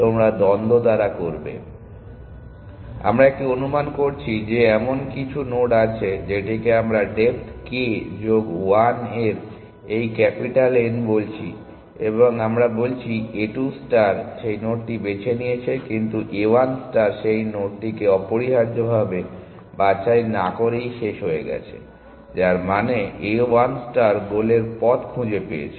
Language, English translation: Bengali, So, we are making an assumption that there is some node we have call this capital N at depth k plus 1 and we are saying a 2 star has pick that node, but a 1 star terminated without ever picking that node essentially, which means a 1 star found a paths to the goal